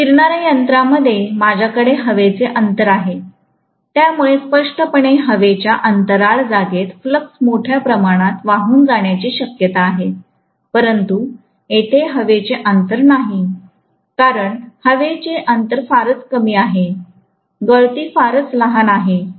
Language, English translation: Marathi, In a rotating machine I have air gap, so obviously there will be huge amount of flux probably leaking into the air gap space, whereas there is no air gap here, because air gap is very minimal, the leakage will be very very small